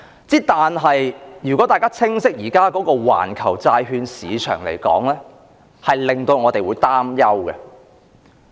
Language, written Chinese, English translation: Cantonese, 然而，如果大家了解現時的環球債券市場，便會感到擔憂。, However those who are well versed in the current global bond market will feel worried